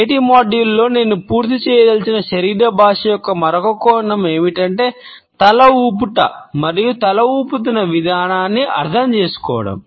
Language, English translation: Telugu, Another aspect of body language which I want to cover in today’s module, is the way head nods and shaking of the head is understood